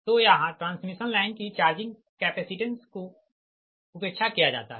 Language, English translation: Hindi, so charging, capacitance of the transmission line are ignored